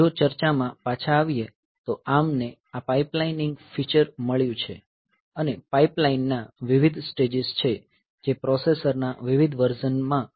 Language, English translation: Gujarati, So, so coming back to the discussion this has, so, ARM has got this a pipelining feature and there are various number of stages of pipelines that are available in different versions of the processor